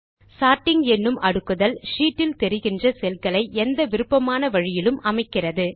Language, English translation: Tamil, Sorting arranges the visible cells on the sheet in any desired manner